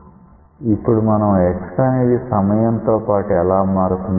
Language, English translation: Telugu, Now, it is possible to find out how x changes with time